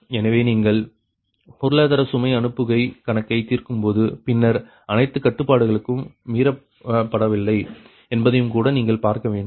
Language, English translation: Tamil, so when you are solving economic load dispatch problem then you have to see that all the constraints also are not violated